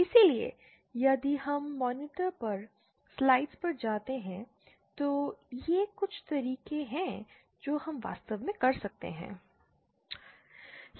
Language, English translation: Hindi, So, if we go to the slides on the monitor, these are some of the ways we can do it actually